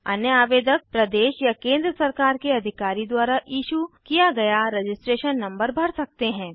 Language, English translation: Hindi, Other applicants may mention registration number issued by State or Central Government Authority